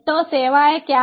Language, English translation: Hindi, so what are the services